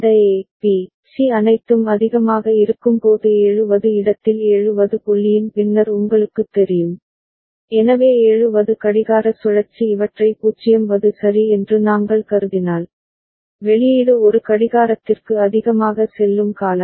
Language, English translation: Tamil, And when all of this A, B, C are high as is the case over here in 7th you know after the 7th point ok, so 7th clock cycle if we have consider these as 0th ok, then the output will go high for one clock period